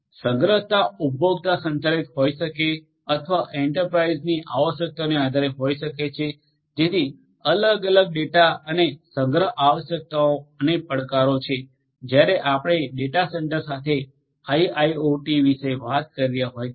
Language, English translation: Gujarati, The storage could be consumer driven or based on the requirements of the enterprise so different different data and storage requirements and the challenges are there when we are talking about data centre with IIoT